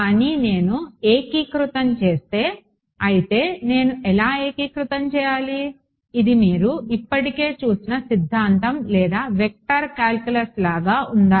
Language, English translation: Telugu, But if we if I integrate I mean how do I integrate; does it look like some theorem or vector calculus you have already seen